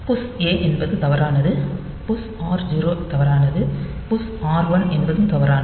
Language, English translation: Tamil, So, push a is invalid push r 0 is invalid, push r 1 is invalid